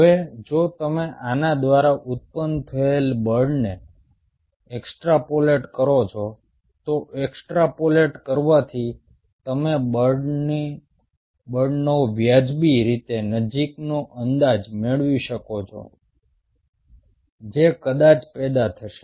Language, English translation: Gujarati, now, if you extrapolate the force generated by this extrapolating, you will be able to get a reasonably close estimate of the force which probably will be generated or which is being generated by the individual muscle